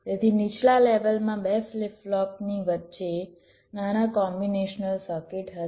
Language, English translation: Gujarati, so in the lowest level there will be two flip flop with small combination circuit in between